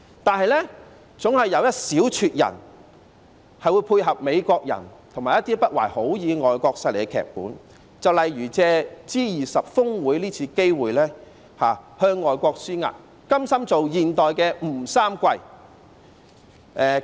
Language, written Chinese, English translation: Cantonese, 但是，總有一小撮人會配合美國人和一些不懷好意的外國勢力的劇本，例如藉着 G20 峰會這次機會向外國施壓，甘心當現代吳三桂。, But there are always a handful of people who provide support to the Americans and to the screenplay of the ill - intentioned foreign forces by for instance seizing the opportunity of the G20 Osaka Summit to put pressure on foreign countries and these people are more than willing to act as the modern - day WU Sangui